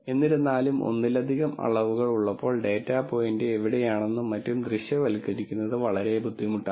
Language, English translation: Malayalam, However, when there are multiple dimensions it is very di cult to visualize where the data point lies and so on